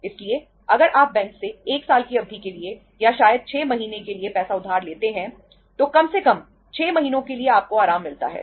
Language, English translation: Hindi, So if you borrow money from the bank for a period of 1 year or maybe for 6 months, at least for 6 months you are relaxed